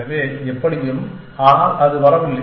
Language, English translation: Tamil, So, anyways, so it is not comes